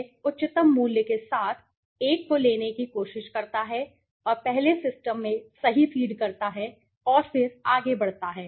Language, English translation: Hindi, it tries to pick up the one with the highest value right and first feeds into the system right and then it goes on right